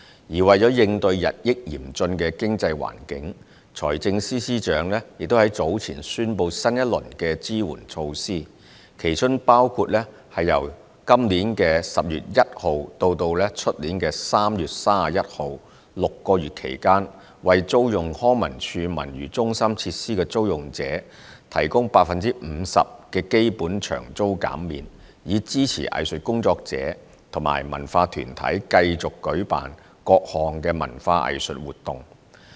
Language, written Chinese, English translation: Cantonese, 而為了應對日益嚴峻的經濟環境，財政司司長已於早前宣布新一輪支援措施，其中包括由2019年10月1日至2020年3月31日6個月期間，為租用康文署文娛中心設施的租用者，提供 50% 的基本場租減免，以支持藝術工作者及文化團體繼續舉辦各項文化藝術活動。, In response to the increasingly challenging economic environment the Financial Secretary has earlier announced a new round of relief measures . One of the measures is to provide hirers of facilities of civic centres managed by LCSD with a 50 % reduction of hire charges for a period of six months from 1 October 2019 to 31 March 2020 to support artists and cultural organizations to hold various cultural and arts activities continuously